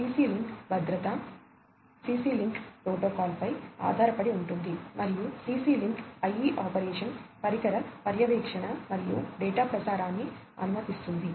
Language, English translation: Telugu, CC link safety is based on the CC link protocol and CC link IE enables operation, device monitoring and data transmission